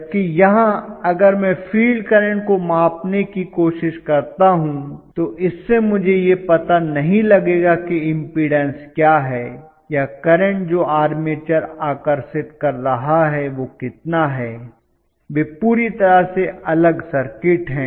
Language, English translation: Hindi, Whereas here if I try to measure to measure the field current that is not going to really give me an index of what is the impedance or the current that would have been drawn by my armature, they are disconnected circuit completely